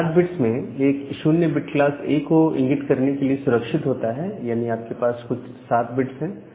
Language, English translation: Hindi, And 8 bit of network address out of which 1 0 was reserved for denoting class A, so you have a total of 7 bit